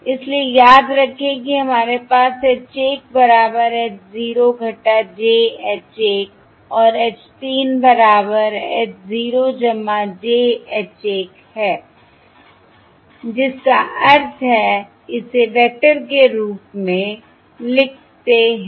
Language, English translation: Hindi, So, remember, we have H 3, H 1, remember, equals h 0 minus j h 1, and H 3 equals h 0 plus j h 1, which implies writing this as vectors, Writing this using matrix notation